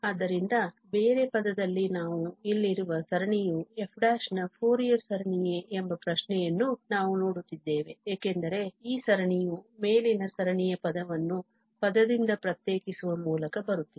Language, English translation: Kannada, So, in other term we are looking to the question whether the series here; because this is coming just by differentiating, differentiating the above series term by term